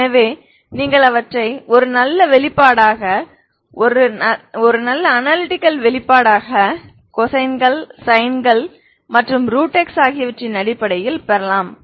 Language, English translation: Tamil, So you can also get them as a nice expressions an expressions in terms of cosines and and root x, ok